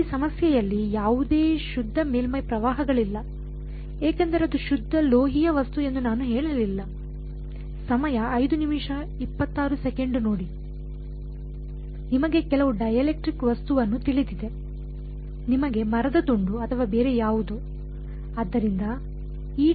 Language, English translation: Kannada, In this problem, there are no pure surface currents, because I did not say that it was a pure metallic object you know some dielectric object right like, you know like piece of wood or whatever right